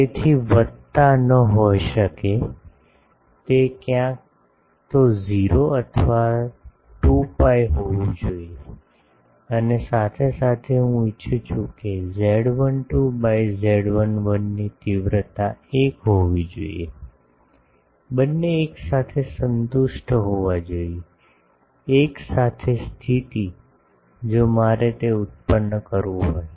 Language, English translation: Gujarati, So, plus cannot be, should be either 0 or 2 pi and also I want z 12 by z 11 magnitude should be 1, both should be simultaneously satisfied, simultaneous condition, if I want to produce that